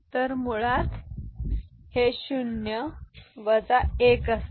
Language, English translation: Marathi, So, that is basically 0 minus 2